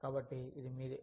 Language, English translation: Telugu, So, it is yours